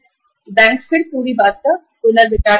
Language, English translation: Hindi, So bank will then recalculate the whole thing